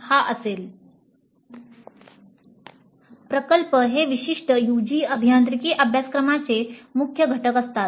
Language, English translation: Marathi, Projects are key components of a typical UG engineering curriculum